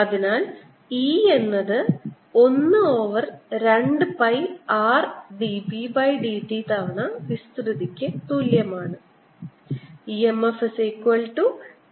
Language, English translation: Malayalam, so e comes out to be one over two pi r, d, b, d t times area